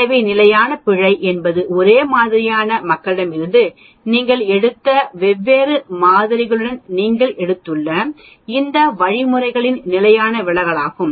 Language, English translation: Tamil, So, standard error is a standard deviation of all these means which you have taken with different samples you have taken from the same population do you understand